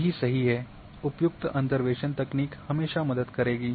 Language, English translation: Hindi, Those would be corrected,appropriate interpolation technique would always help